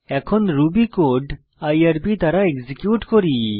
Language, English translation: Bengali, Now let us execute our Ruby code through irb